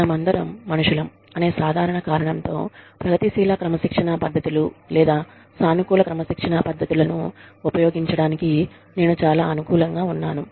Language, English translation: Telugu, And, i am very much in favor of using the, progressive disciplining techniques, or positive disciplining techniques, for the simple reason that, we are all humans